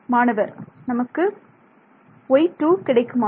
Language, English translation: Tamil, Right so I have y squared